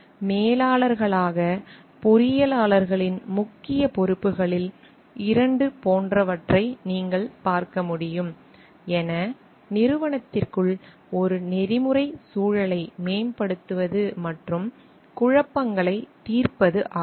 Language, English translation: Tamil, And as you can see like 2 of the major responsibilities of engineers as managers are promoting an ethical climate within the organization and resolving conflicts